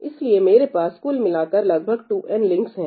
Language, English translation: Hindi, So, I had a total of about 2n links